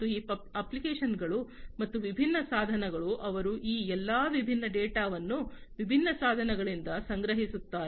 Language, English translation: Kannada, So, these apps and different devices they, they collect all these different data from the different equipments